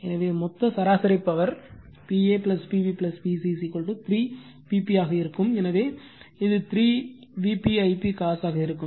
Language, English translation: Tamil, So, total average power will be then P a plus P b plus P c is equal to 3 P p, so it will be 3 V p I p cos theta right